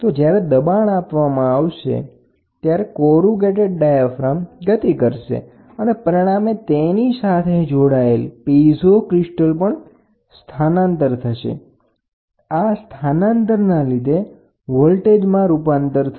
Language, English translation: Gujarati, So, the pressure is applied the diaphragm corrugated diaphragm moves and this movement, in turn, is giving is attached to a piezo crystal, piezo crystal converts displacement into voltage